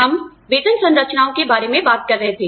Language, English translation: Hindi, We were talking about, Pay Systems